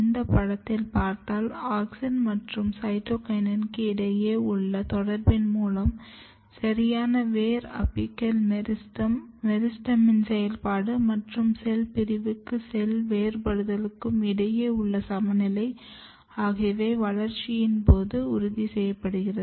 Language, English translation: Tamil, So, basically if you look in this picture, you can see that there is a cross talk between auxin and cytokinin together which ensures a proper root apical meristem and proper meristematic activity and a critical balance between cell division and cell differentiation during growth and development